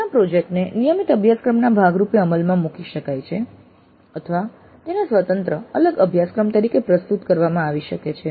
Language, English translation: Gujarati, The mini project may be implemented as a part of a regular course or it may be offered as an independent separate course by itself